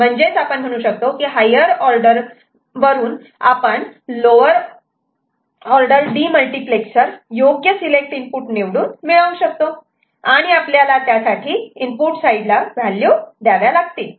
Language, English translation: Marathi, So, from a higher order we can always get a lower order demultiplexer by making appropriate choice of this selection input, how you know give place values to the input side